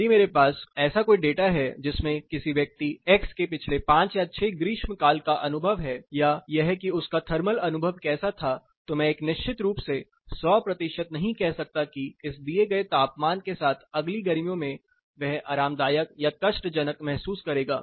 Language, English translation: Hindi, So if I have a data of say a person x has experienced the past 5 or 6 summers, and this being his thermal experience was this I may not be able to say hundred percent surely that the next summer with this given temperature he is going to stay comfortable or uncomfortable